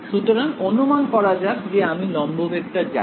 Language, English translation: Bengali, So, assume that I know the normal vector